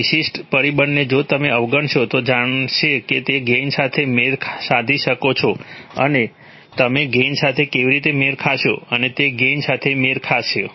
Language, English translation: Gujarati, This particular factor if you ignore then it turns out that you can match the gains, right, and how do you match the gains, so you match the gains